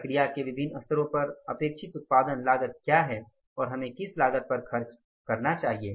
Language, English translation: Hindi, What is the production cost at the different levels of the process is expected and what cost should we incur